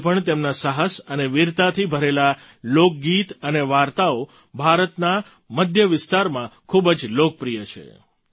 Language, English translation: Gujarati, Even today folk songs and stories, full of his courage and valour are very popular in the central region of India